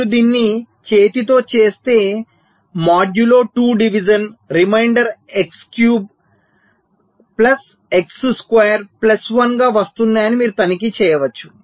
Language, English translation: Telugu, so if you do it by hand modulo two division, you can check that the remainder is coming as x cube plus x square plus one